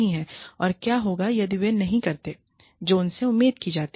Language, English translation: Hindi, And, what will happen, if they do not do, what is expected of them, you know